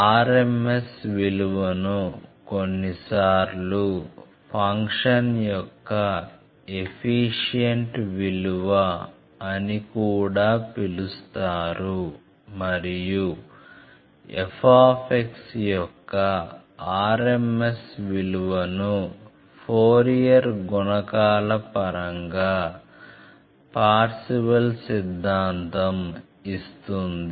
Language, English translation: Telugu, This rms value is sometimes also known as the efficient value of the function and the Parseval’s Theorem gives then the value of rms of f x in terms of the Fourier coefficients and it has many applications